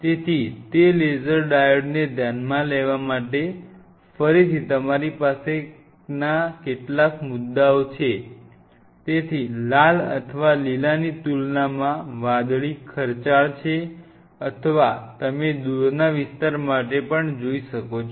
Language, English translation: Gujarati, So, again these are some of the points what you have, to consider those laser diodes which are therefore, the blue is costly as compared to red or green or you may even go for a far raid